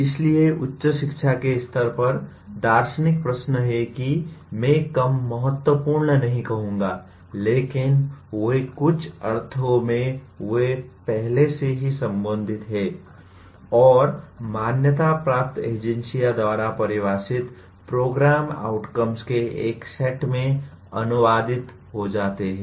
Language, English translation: Hindi, So, at higher education level, the philosophical questions are I would not call less important but they in some sense they are already addressed and get translated into a set of program outcomes defined by accrediting agency